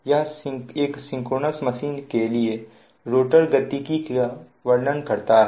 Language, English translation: Hindi, it describes the rotor dynamics for a synchronous machine